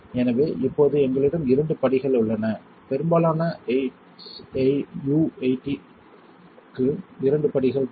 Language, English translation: Tamil, So, right now we have two steps available here most SU 8 requires two steps